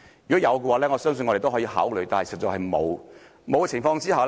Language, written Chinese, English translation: Cantonese, 若容許，我相信我們都可以考慮，但實在是不容許。, If it is allowed I believe that this can be under our consideration . However it is indeed not allowed